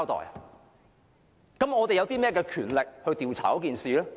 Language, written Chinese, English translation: Cantonese, 那麼我們有甚麼權力調查事件？, What powers do we have to inquire into the incident?